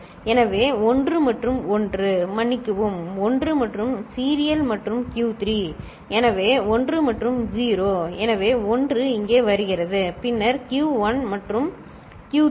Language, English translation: Tamil, So, 1 and 1 sorry, 1 and serial in and Q3, so 1 and 0; so 1 comes here, then Q1 and Q3, right